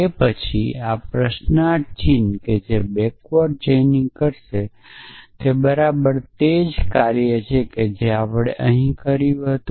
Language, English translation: Gujarati, So, that question mark after this what backward chaining will do is exactly the same thing that we did here earlier it would